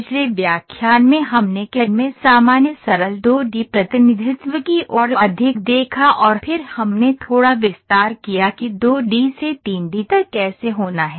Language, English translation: Hindi, Last lecture we saw more towards, generic simple 2 D representation in CAD and then we slightly extended how from 2 D to 3 D has to happen